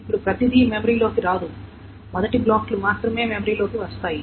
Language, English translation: Telugu, Now not everything will be brought into memory, only the first blocks will be brought into memory